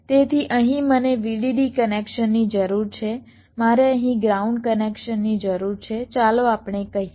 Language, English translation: Gujarati, so here i require a vdd connection, here i require a ground connection here